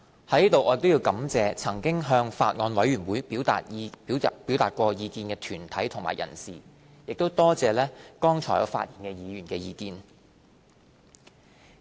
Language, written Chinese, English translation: Cantonese, 在此我亦感謝曾經向法案委員會表達意見的團體及人士，也多謝剛才發言議員的意見。, I would also hereby thank the deputations and individuals who have expressed their views to the Bills Committee and the Members who have just expressed their views in their speeches